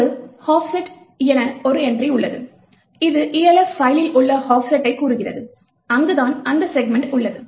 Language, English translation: Tamil, There is an entry called the offset which tells you the offset in the Elf file, where that segment is present